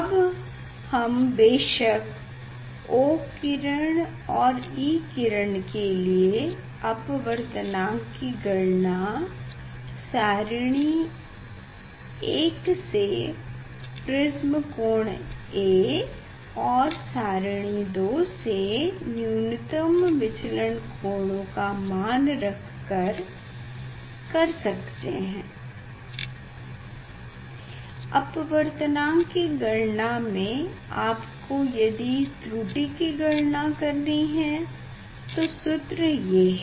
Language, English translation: Hindi, And then of course, we can calculate the refractive index for O ray and E ray angle of prism from table 1, angle of minimum deviation from table 2 and then refractive index we can calculate mean o and mean e, error calculation also wants to do in the measurement of refractive index